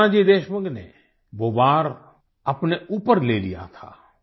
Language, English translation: Hindi, It was Nanaji Deshmukh then, who took the blow onto himself